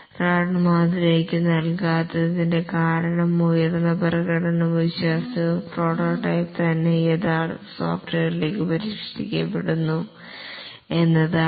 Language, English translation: Malayalam, The reason why the RAD model does not give high performance and reliability is that the prototype itself is refined into the actual software